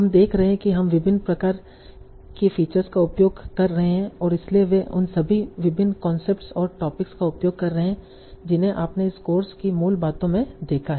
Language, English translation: Hindi, So you are using a lot of different sort of features and so and they are using all the different concepts and topics that you have seen in the basics of this course